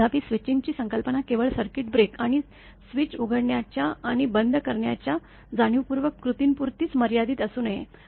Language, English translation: Marathi, However, the concept of switching should not be limited to the intentional actions of opening and closing of circuit breaker and switches